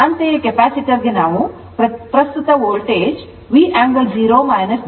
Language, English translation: Kannada, Similarly, for capacitor we see the currently it is the voltage, V angle 0 minus jX C